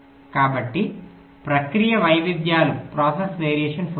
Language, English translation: Telugu, so there will be process variations